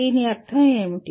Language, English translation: Telugu, What is the meaning of …